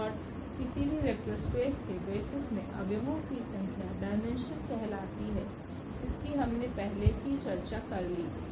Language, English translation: Hindi, And the number of elements in any basis of a vector space is called the dimension which we have already discussed